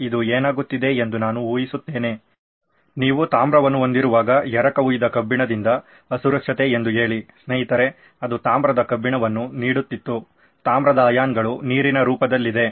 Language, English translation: Kannada, I guess this is what is happening is that when you have copper say unprotected by our friend the cast iron it was giving of copper iron, copper ions are a water form